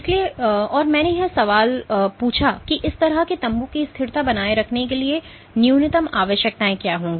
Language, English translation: Hindi, So, and I asked the question that what would be the minimum requirements for maintaining the stability of such a tent